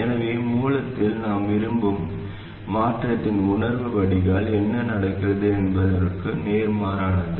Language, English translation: Tamil, So the sense of change we want at the source is opposite of what is happening at the drain